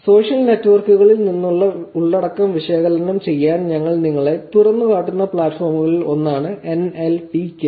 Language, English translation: Malayalam, NLTK is one of the platforms which we will also expose you to analyze the content from social networks